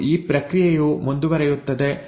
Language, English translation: Kannada, And this process keeps on continuing